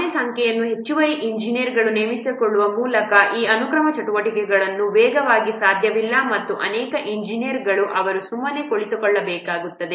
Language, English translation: Kannada, These sequential activities cannot be speeded up by hiring any number of additional engineers and many of the engineers they will have to see the ideal